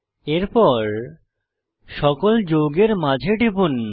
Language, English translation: Bengali, Click between all the compounds